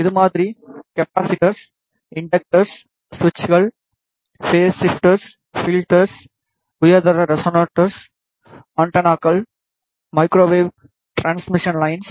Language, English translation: Tamil, It could be variable capacitors, inductors, switches, phase shifters, filters, high quality resonators, antennas, microwave transmission lines